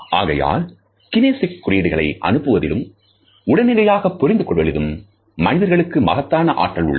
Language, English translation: Tamil, So, human beings have an immense capacity to send as well as to receive kinesic signals immediately